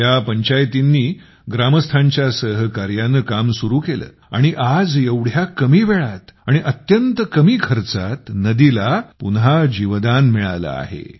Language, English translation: Marathi, The panchayats here started working together with the villagers, and today in such a short time, and at a very low cost, the river has come back to life again